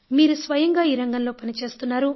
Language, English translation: Telugu, You are yourself working in this field